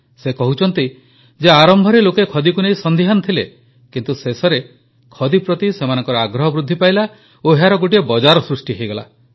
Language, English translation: Odia, He narrates that initially the people were wary of khadi but ultimately they got interested and a market got ready for it